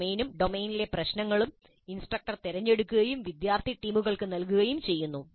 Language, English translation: Malayalam, The domain as well as the problem in the domain are selected by the instructor and assigned to student teams